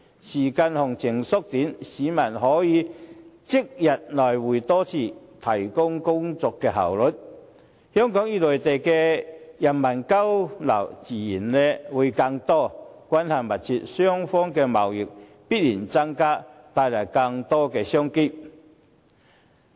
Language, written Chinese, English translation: Cantonese, 時間行程縮短，市民可以即日來回多次，提高工作效率，香港與內地人民的交流自然增加，關係密切，雙方的貿易必然增加，帶來更多商機。, As travel time is shortened people may travel to and from these places for multiple times a day and work efficiency will be enhanced . The exchanges between Hong Kong people and Mainlanders will increase naturally and the ties will become closer . The trade between the two places will definitely increase and there will be more business opportunities